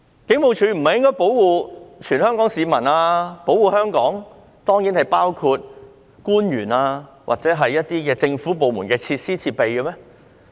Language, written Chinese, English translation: Cantonese, 警務處不是應該保護全港市民，保護香港，當然亦包括官員或某些政府部門的設施和設備嗎？, Should HKPF not protect all Hong Kong people and Hong Kong which surely include government officials or the facilities and equipment of some government departments?